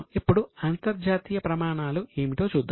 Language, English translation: Telugu, Now, let us look at what are the international standards